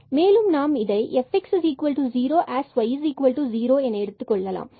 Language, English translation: Tamil, So, we can set in our fx as y 0